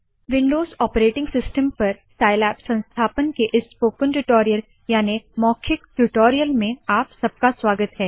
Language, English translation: Hindi, Welcome to the spoken tutorial on Installation of Scilab on Windows operating system